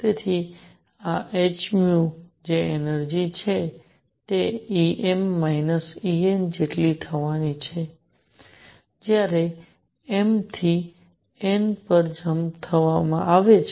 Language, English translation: Gujarati, So, this h nu which is the energy is going to be equal to E m minus E n when m to n jump is made